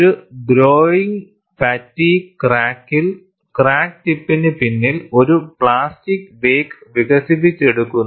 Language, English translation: Malayalam, In a growing fatigue crack, behind the crack tip, a plastic wake is developed